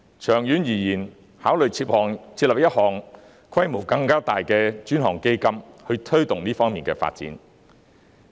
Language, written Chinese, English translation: Cantonese, 長遠而言，應考慮設立規模更大的專項基金，推動這方面的發展。, In the long run consideration should be given to setting up a dedicated fund of a larger scale to promote development in this area